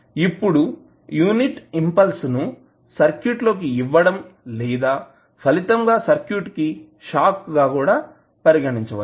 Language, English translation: Telugu, Now, unit impulse can also be regarded as an applied or resulting shock into the circuit